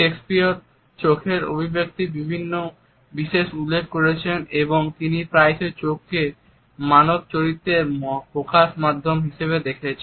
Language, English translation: Bengali, Shakespeare has particularly alluded to the expression of eyes and he has often looked at eyes as an expression of human character